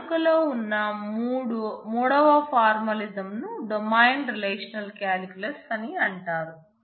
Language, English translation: Telugu, A third formalism that exists that is used is known as domain relational calculus